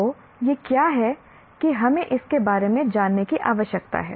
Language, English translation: Hindi, So, what is it that we need to know about that